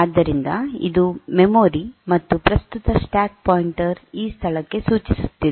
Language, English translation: Kannada, So, it is this is my memory, and the current stack pointer is pointing to this location